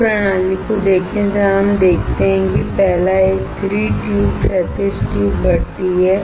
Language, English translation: Hindi, Look at this system where we see that the first one is a 3 tube horizontal tube furnace